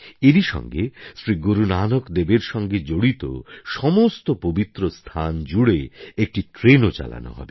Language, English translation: Bengali, Besides, a train will be run on a route joining all the holy places connected with Guru Nanak Dev ji